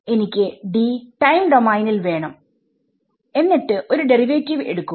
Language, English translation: Malayalam, So, I need D in the time domain then into take a derivative